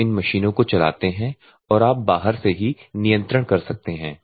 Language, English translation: Hindi, And you just run these multiple machines and just you can control from outside